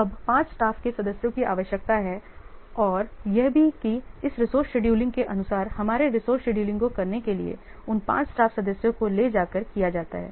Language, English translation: Hindi, So now 5 staff members are required and also according to this resource scheduling, our resource scheduling is done by taking our resource scheduling is performed by taking those 5 staff members only, no extra staff members